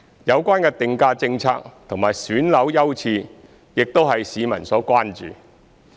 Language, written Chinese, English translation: Cantonese, 有關的定價政策和選樓優次亦為市民所關注。, The pricing policy and flat selection priorities are also of public concern